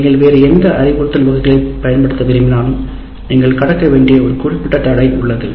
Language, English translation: Tamil, So what happens is if you want to use any other type of instruction, there is a certain barrier that you have to cross